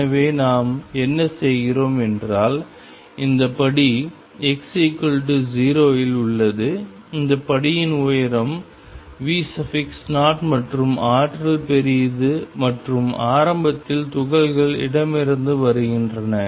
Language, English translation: Tamil, So, what we are doing is we have this step at x equals 0 the height of this step is V 0 and the energy is large and initially the particles are coming from the left